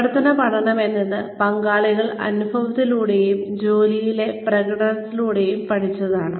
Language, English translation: Malayalam, Action learning is, participants learned through experience, and application on the job